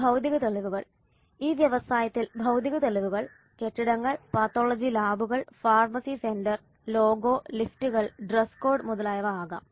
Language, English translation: Malayalam, And the physical evidence in this industry, physical evidence can be in the form of buildings, pathology labs, pharmacy center, logo, lifts, dress code, etc